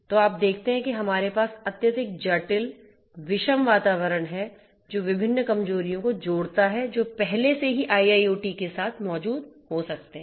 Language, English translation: Hindi, So, you see that we have a highly complex heterogeneous environment which also adds to the different vulnerabilities that might already exist with IIoT